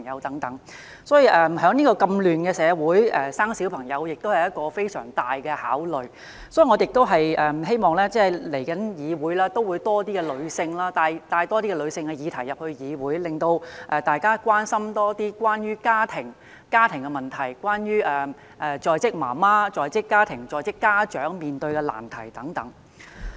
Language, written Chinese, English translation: Cantonese, 在如此混亂的社會生育小朋友是一個非常重大的決定，我希望來屆議會中會有多些女性的議題獲帶進議會，令大家關心多些關於家庭的問題，例如在職母親、在職家長面對的難題等。, Having children in such a chaotic society is a very big decision to make so I hope that more womens issues will be brought into the legislature in the next term to raise peoples attention to family - related issues such as the difficulties faced by working mothers and working parents